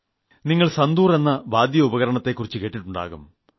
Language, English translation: Malayalam, You must have heard of the musical instrument called santoor